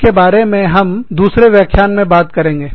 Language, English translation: Hindi, We will talk about this, in another lecture